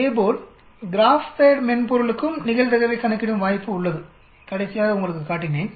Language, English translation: Tamil, And similarly the GraphPad software also has the option of calculating the probability, I showed you last time